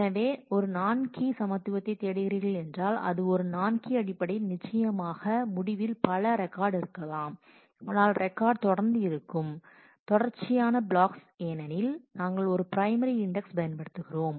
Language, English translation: Tamil, So, if you are looking for equality on a non key since is a non key then certainly in the result we may have multiple records, but the records will be on consecutive blocks because we are using a primary index